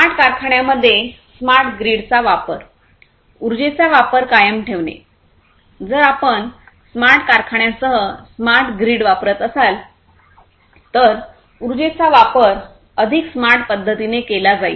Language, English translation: Marathi, Use of smart grid in smart factories, persistence in energy consumption; if you are using smart grid with smart factories, you know, energy consumption will be you know will be taken care of in a smarter way